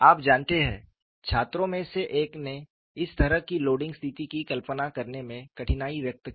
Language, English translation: Hindi, You know one of the students expressed a difficulty in visualizing this kind of a loading situation